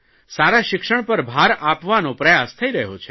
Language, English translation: Gujarati, An effort is being made to provide quality education